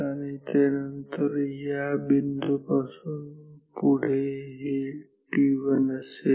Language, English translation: Marathi, And, then from this point onwards so, this is t 1